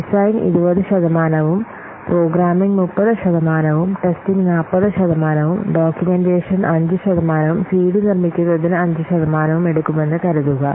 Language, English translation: Malayalam, Suppose design will take 20 percent, programming will take 30 percent, testing will take 40 percent, documentation will take 5 percent and producing CD will take 5 percent